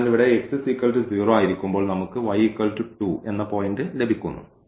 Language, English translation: Malayalam, So, in this case when x is 0 here we are getting the point y x 2